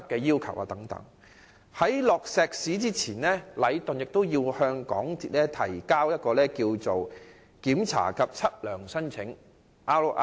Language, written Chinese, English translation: Cantonese, 在傾倒石屎前，禮頓要向港鐵公司提交一份"檢查及測量申請"。, Before the pouring of concrete Leighton is required to submit a Request for Inspection and Survey Checks to MTRCL